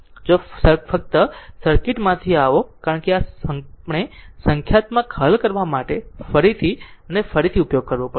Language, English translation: Gujarati, If you come to the circuit from the circuit only, because this we have to use again and again for solving your numericals